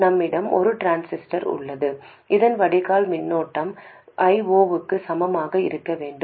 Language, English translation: Tamil, We have a transistor and the drain current of this must become equal to I 0